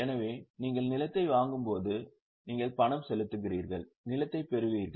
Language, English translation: Tamil, So, when you purchase land you pay cash you receive land